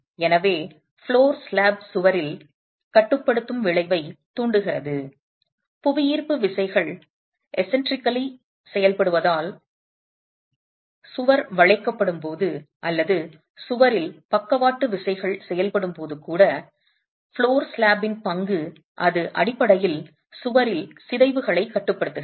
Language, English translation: Tamil, So, the floor slab induces a restraining effect on the wall when the wall is subjected to bending due to the gravity forces acting eccentrically or even when you have lateral forces acting on the wall, the role of the flow slab is it basically restrains the deformations in the wall